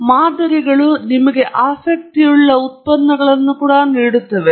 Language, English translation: Kannada, Now, models also give you the outputs that are of interest to you